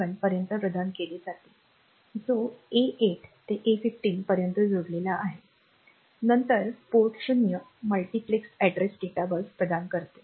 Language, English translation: Marathi, 7 they are connected to A8 to A 15 then Port 0 provides the multiplexed address data bus